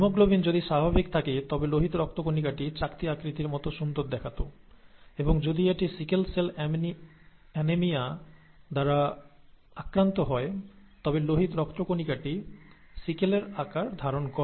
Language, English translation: Bengali, The, if the haemoglobin is normal, the red blood cell would look nicely disc shaped, and if it happens to have, if it happens to be diseased with sickle cell anaemia, then the red blood cell takes on a sickle shaped, sickle shape